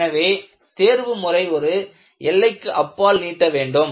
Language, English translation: Tamil, So, by looking at optimization, do not stretch optimization beyond a limit